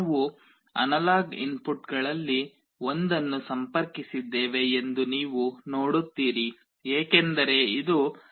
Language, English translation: Kannada, You see we have connected to one of the analog inputs, because it is an analog voltage